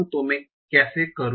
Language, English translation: Hindi, So how do I do that